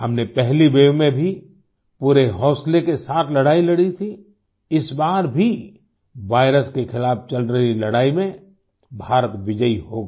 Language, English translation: Hindi, In the first wave, we fought courageously; this time too India will be victorious in the ongoing fight against the virus